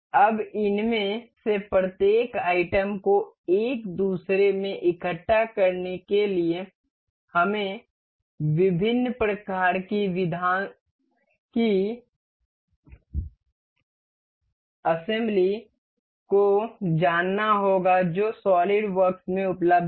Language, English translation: Hindi, Now, to assemble each of these items into one another, we need to know different kinds of assembly that that are available in the solidworks